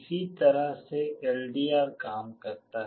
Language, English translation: Hindi, This is how LDR works